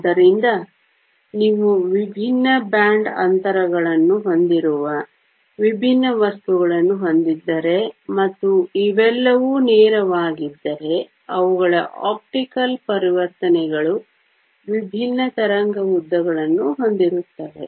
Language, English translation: Kannada, So, if you have different material with different band gaps and all of these are direct then their optical transitions will have different wave lengths